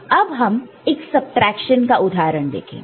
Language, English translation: Hindi, So, we shall look at one subtraction example right